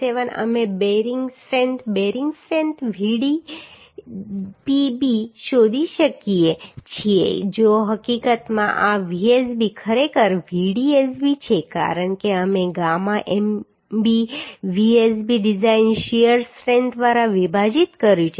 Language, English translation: Gujarati, 57 we can find out the bearing strength bearing strength Vdpb if fact this I can make sorry this Vsb actually Vdsb because we have divided by gamma mb Vdsb design shear strength right So bearing strength Vdpb will be 2